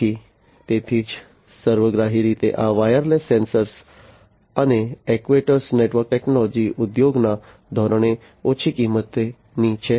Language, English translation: Gujarati, And overall this wireless sensor and actuator network technologies are low cost right